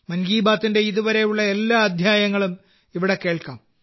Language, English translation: Malayalam, Here, all the episodes of 'Mann Ki Baat' done till now can be heard